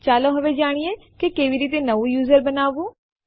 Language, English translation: Gujarati, Lets now learn how to create a New User